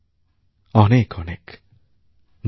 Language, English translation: Bengali, Thank you very very much